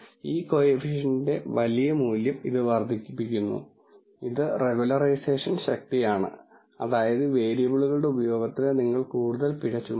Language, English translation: Malayalam, And larger the value of this coefficient that is multiplying this the more is regularization strength that is you are penalizing for use of variables lot more